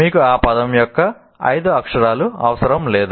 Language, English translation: Telugu, You don't require all the five letters of that word